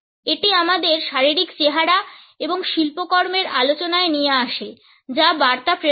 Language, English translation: Bengali, This brings us to the discussion of our physical appearance and artifacts which also transmits messages